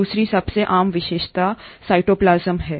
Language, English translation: Hindi, The second most common feature is the cytoplasm